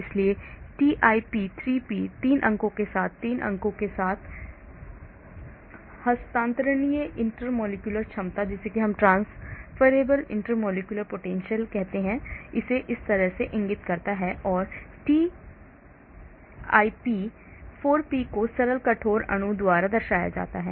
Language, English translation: Hindi, so TIP3P transferable intermolecular potential with 3 points like 3 points this this this, and TIP4P is represented by simple rigid molecule